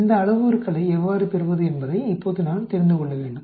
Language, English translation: Tamil, Now I need to know how to get these parameters